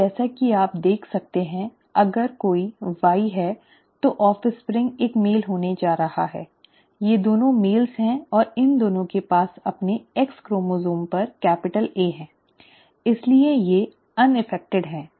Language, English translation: Hindi, And as you can see the, if there is a Y, the offspring is going to be a male, both these are males and both these have the capital A on their X chromosome so therefore they are unaffected